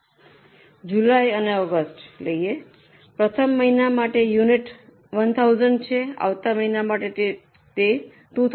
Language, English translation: Gujarati, Now for two months, let us say July and August, for first month the units are 1000, for next month it is 2000